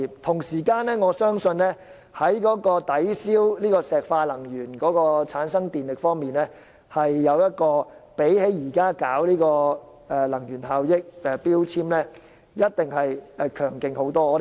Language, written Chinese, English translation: Cantonese, 同時，在抵銷石化能源產生電力方面，可再生能源發電比推行強制性標籤計劃強勁很多。, At the same time in terms of replacing electricity generated by burning fossil fuels electricity generation through renewable energy is much more effective than the implementation of MEELS